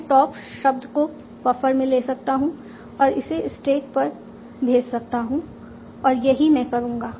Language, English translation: Hindi, I can take the top word in the buffer and move that to the stack